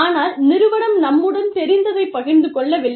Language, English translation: Tamil, But, the firm is not sharing, whatever it knows, with us